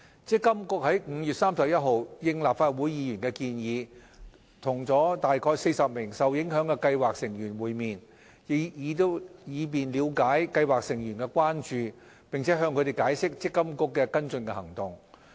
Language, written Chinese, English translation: Cantonese, 積金局於5月31日應立法會議員的建議，與約40名受影響的計劃成員會面，以了解計劃成員的關注，並向他們解釋積金局的跟進行動。, In response to Legislative Council Members MPFA met with around 40 affected scheme members on 31 May to understand their concerns and explain to them follow - up actions of MPFA